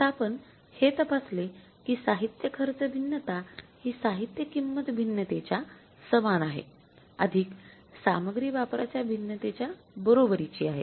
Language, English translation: Marathi, You verify now the material cost variance is equal to material price variance plus material usage variance